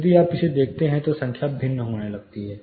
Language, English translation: Hindi, If you look at the same, the numbers are starting to vary